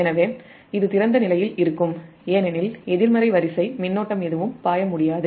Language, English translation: Tamil, so this will remain open because no negative sequence current can flow